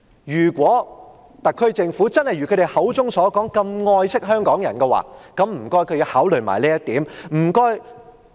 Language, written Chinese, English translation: Cantonese, 如果特區政府真的如他們口中所說那麼愛惜香港人，請他們也要考慮這一點。, If the SAR Government truly cares about Hong Kong people as it claims it should take account of this point